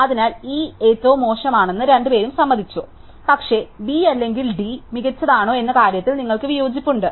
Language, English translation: Malayalam, So, you both agreed that E was the worst, but you disagree on whether B or D was better